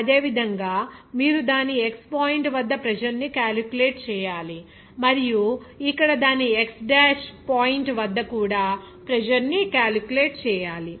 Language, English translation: Telugu, Similarly, you have to calculate the pressure at its x point and also pressure at its x dash point here